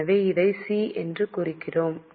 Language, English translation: Tamil, So, we are marking it as C